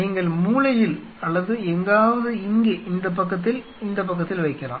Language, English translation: Tamil, You can make in the corner or somewhere out here on this side in this side